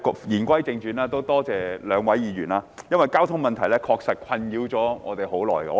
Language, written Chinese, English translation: Cantonese, 言歸正傳，多謝兩位議員，因為交通問題確實困擾我們很長時間。, Coming back to business thanks to the two Members because the traffic problem has really plagued us for a long time